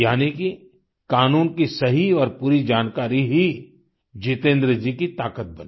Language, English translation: Hindi, This correct and complete knowledge of the law became the strength of Jitendra ji